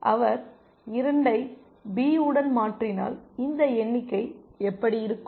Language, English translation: Tamil, If he replaces 2 with B what would the figure be like this